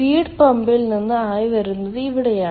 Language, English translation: Malayalam, this is where the steam comes from the feed pump